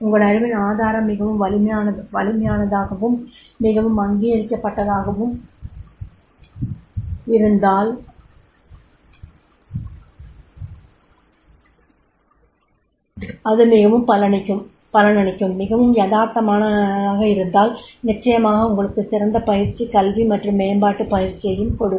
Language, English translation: Tamil, If your source of your knowledge is very, very strong, very much authenticate, very much fruitful, very much realistic, then definitely you will get the best training, education and development practice coaching